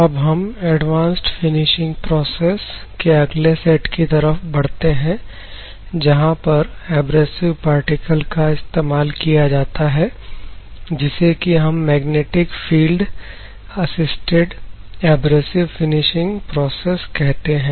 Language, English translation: Hindi, So now we are moving to another set of Advanced Finishing Processes which uses abrasive particles that is called Magnetic Field Assisted Abrasive Finishing Processes